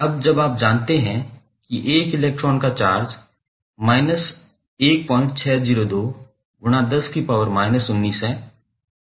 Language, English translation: Hindi, Now,since you know that the charge of 1 electron is 1